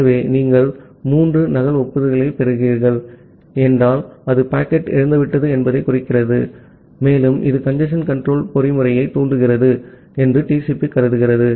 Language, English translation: Tamil, So, TCP assumes that if you are receiving three duplicate acknowledgements, then it implies that the packet has been lost, and it triggers the congestion control mechanism